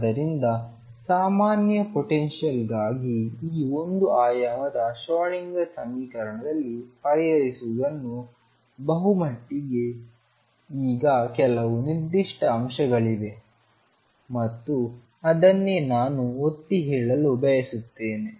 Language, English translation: Kannada, So, this is pretty much what solve in this one dimensional Schrodinger equation for general potentials is now there are some certain points and that is what I want to emphasize